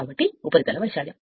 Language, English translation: Telugu, So, surface area right